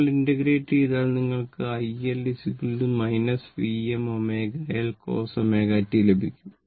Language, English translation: Malayalam, If you integrate, if you integrate you will get i L is equal to minus V m omega L cos omega t right